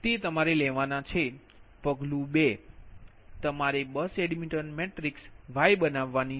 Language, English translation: Gujarati, step two: you have to form the bus admission matrix, y bus, right